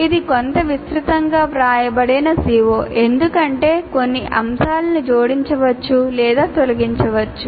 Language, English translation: Telugu, That is a CO written somewhat elaborately because one can add or delete some of the items in this